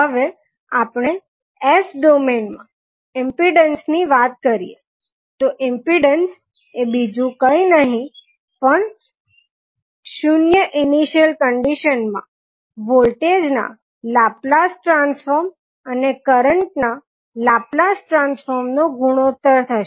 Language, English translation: Gujarati, Now, when we talk about the impedance in s domain so impedance would be nothing but the ratio of voltage Laplace transform and current Laplace transform under zero initial conditions